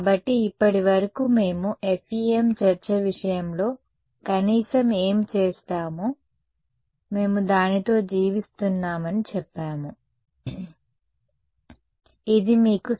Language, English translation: Telugu, So, so far what we had done at least in the case of the FEM discussion, we have said we live with it, this is what you have get right